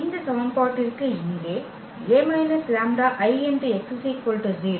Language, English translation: Tamil, For this equation here A minus lambda x is equal to 0